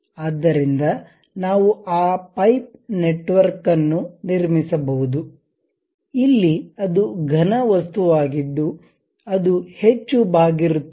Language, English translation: Kannada, So, we will be in a position to construct that pipe network; here it is a solid object it is more like a bent